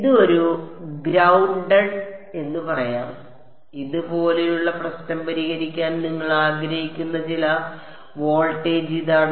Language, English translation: Malayalam, This is let us say a grounded and this is that some voltage you want to solve the problem like this